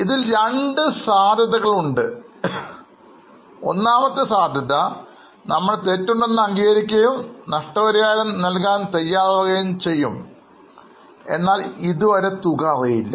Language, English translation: Malayalam, In possibility one, we accept that there was a fault on our par and we agree to pay some compensation but amount is not yet known